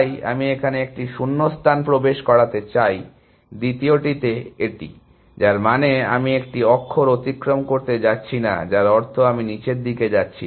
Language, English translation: Bengali, So, I want to insert a gap here, in the second this, which means I am not going to traverse a character, which means I am not going to traverse down